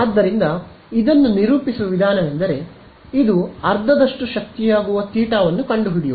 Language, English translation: Kannada, So, the way to characterize this is to find out that theta at which this becomes half the power is a power right